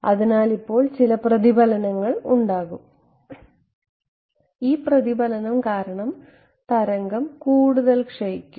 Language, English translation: Malayalam, So, there will be some reflection now as this some reflection this will further decay